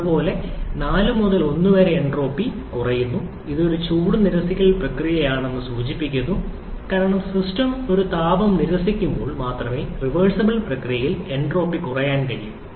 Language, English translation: Malayalam, Similarly, 4 to 1 entropy is decreasing which signifies this is a heat rejection process because entropy can decrease during a reversible process only when heat is being rejected by the system